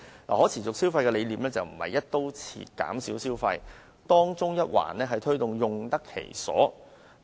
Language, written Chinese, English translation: Cantonese, 可持續消費的概念不是"一刀切"減少消費，而是提倡用得其所。, Sustainable consumption does not mean to cut all consumption across the board; rather the idea of using things properly and wisely is advocated